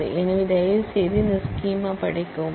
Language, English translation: Tamil, So, please study this schema